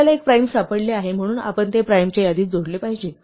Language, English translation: Marathi, And we have found a prime, so we must add it to the list of primes